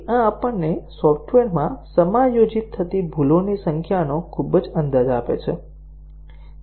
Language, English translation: Gujarati, So, this gives us a very rough approximation of the number of bugs that are adjusting in the software